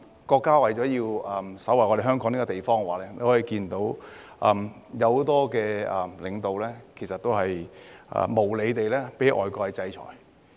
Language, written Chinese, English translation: Cantonese, 國家為了守衞香港這個地方，有很多領導無理地被外國制裁。, Our country has had many of its leaders being unjustifiably sanctioned by foreign countries for defending such a place as Hong Kong